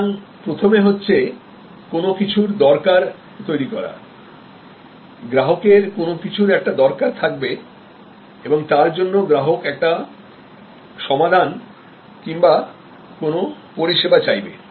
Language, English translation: Bengali, So the first is need arousal; obviously, the customer has some kind of need for which the customer then seeks some solution, some service